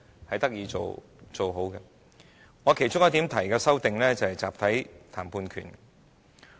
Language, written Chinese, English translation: Cantonese, 我提出的其中一項修訂，便是"集體談判權"。, One of the amendments proposed by me is the right to collective bargaining